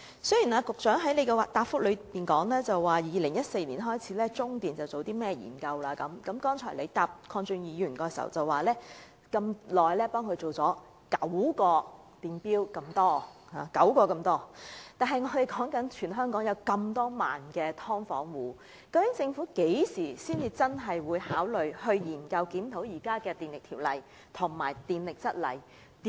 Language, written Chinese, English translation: Cantonese, 雖然局長在主體答覆說自2014年開始，中電已進行了一些研究，他剛才回答鄺俊宇議員時又表示已為有關租戶安裝了9個獨立電錶之多，但全港有數以萬計的"劏房"租戶，究竟政府何時才會考慮檢討現行的《電力條例》及《供電則例》？, But the authorities had not responded . The Secretary said in the main reply that since 2014 CLP has conducted certain studies and in his reply to Mr KWONG Chun - yus question just now the Secretary also said that CLP has installed nine individual meters for SDU tenants . Given that there are tens of thousands of SDU tenants in Hong Kong when will the Government consider reviewing the current Electricity Ordinance and the Supply Rules?